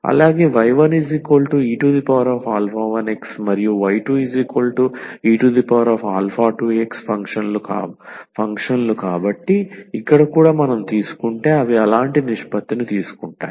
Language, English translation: Telugu, Also the functions exponential alpha 1 x and exponential alpha 2 x, so here also if we take the they take such a ratio here